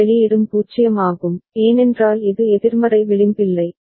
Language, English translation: Tamil, And this output is also 0, because it is no negative edge ok